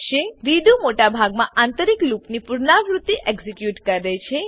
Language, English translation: Gujarati, redo will execute the iteration of the most internal loop